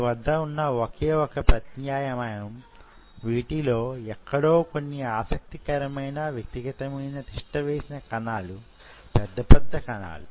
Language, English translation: Telugu, Your only option underneath it out here somewhere, you will have some very interesting individual cells, big individual cell sitting